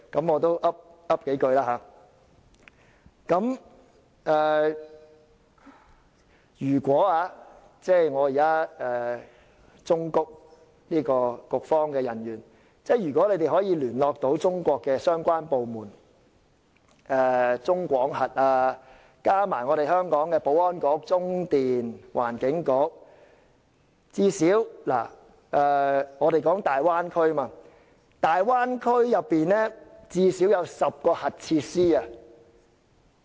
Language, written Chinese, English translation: Cantonese, 我現在要忠告局方人員，如你們能聯絡中國相關單位如中國廣核集團，便應聯合香港的保安局、中電及環境局與之一同檢視大灣區內現有的最少10個核設施。, Let me advise the officials of the Constitutional and Mainland Affairs Bureau officers that if they can get in touch with the related units in China such as the China General Nuclear Power Group they should join hands with the Security Bureau CLP and the Environment Bureau in Hong Kong to inspect at least 10 existing nuclear facilities in the Bay Area